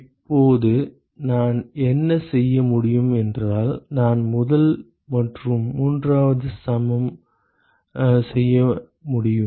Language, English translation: Tamil, Now what I can do is I can equate first and the third